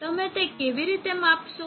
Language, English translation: Gujarati, How do you measure IT